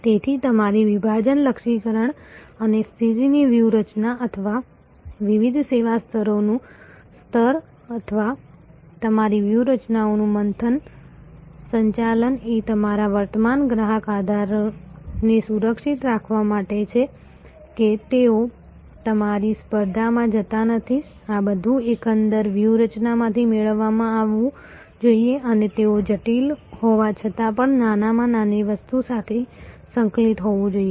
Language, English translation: Gujarati, So, your segmentation targeting and positioning strategy or the tier of different service levels or churn management of your strategies is for protecting your existing customer base seeing that they do not go away to your competition all these must be derived out of the overall strategy and they must be intricately integrated well oven together